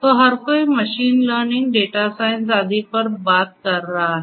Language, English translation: Hindi, So, everybody is talking about machine learning, data science and so on